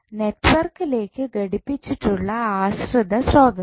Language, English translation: Malayalam, The dependent source which is connected to the network